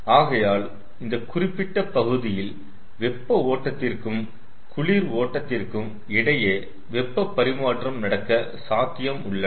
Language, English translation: Tamil, so in this portion there would be possible heat transfer between the cold streams and the hot streams